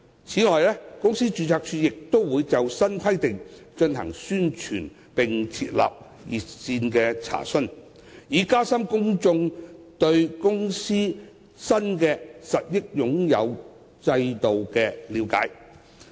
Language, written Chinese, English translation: Cantonese, 此外，公司註冊處亦會就新規定進行宣傳，並設立查詢熱線，以加深公眾對公司新的實益擁有制度的了解。, The Companies Registry will also launch publicity campaigns on the new requirements and set up an enquiry hotline to enhance the publics understanding of the new beneficial ownership regime of companies